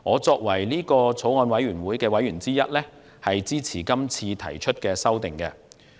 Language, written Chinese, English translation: Cantonese, 作為法案委員會的委員之一，我支持這次修訂。, As a member of the Bills Committee I support the amendments